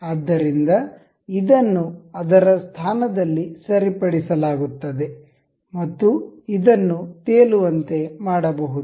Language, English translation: Kannada, So, this will be fixed in its position and this can be made floating